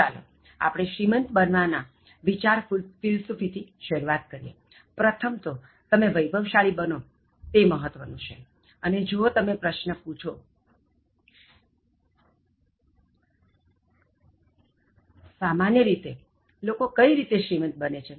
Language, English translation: Gujarati, Now, let us start with the idea philosophy of becoming wealthy and it is important that you should become wealthy first, that is the first thing and if you ask the question, How do normally people become rich